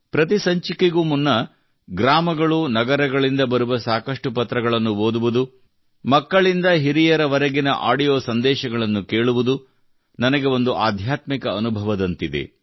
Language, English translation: Kannada, Before every episode, reading letters from villages and cities, listening to audio messages from children to elders; it is like a spiritual experience for me